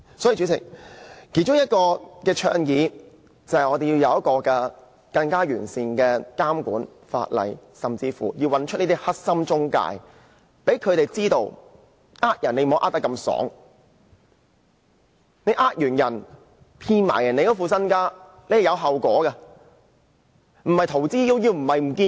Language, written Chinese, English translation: Cantonese, 所以，主席，我們其中一項倡議，就是要有一套更完善的監管法例，甚至要找出這些"黑心中介"，讓他們知道不能隨意欺詐，他們欺詐及騙取市民的身家，是有後果的，不能逃之夭夭，消失了便算。, Hence President one of our propositions is to have better regulatory legislation . We even need to locate these unscrupulous intermediaries and make them know that they cannot commit frauds as they please . There will be consequences if they commit frauds and swindle people out of their savings